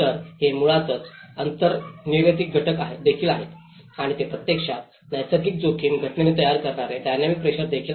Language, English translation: Marathi, So, this is basically, there is also the underlying factors and how they actually the dynamic pressures which are actually creating with the natural hazard phenomenon